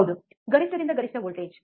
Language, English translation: Kannada, Yeah, yes, peak to peak voltage